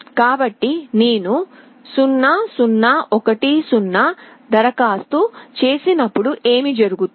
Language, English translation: Telugu, So, what happens when I apply 0 0 1 0